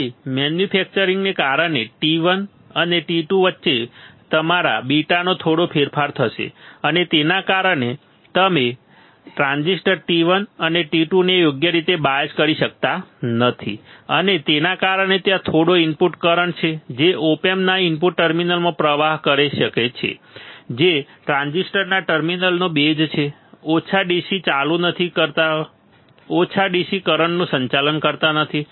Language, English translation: Gujarati, So, but because of the manufacturing there will be a small change in your beta the small change in beta between T 1 and T 2 and due to that you cannot bias the transistor T 1 and 2 correctly and because of which there is a small input current that can flow into the op amp does the input terminals which are base of the terminals of the 2 transistors do not current small DC do not conduct small DC current